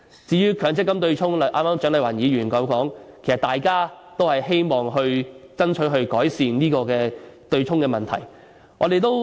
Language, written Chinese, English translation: Cantonese, 至於強積金對沖方面，蔣麗芸議員剛才也說過，其實大家都希望爭取改善對沖的問題。, Dr CHIANG Lai - wan mentioned the offsetting arrangement of the Mandatory Provident Fund MPF earlier . In fact we all want to strive for improvement to the offsetting arrangement